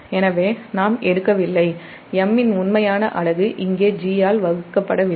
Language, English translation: Tamil, so we are not, we are taking the real unit of m, not per, not divided by g here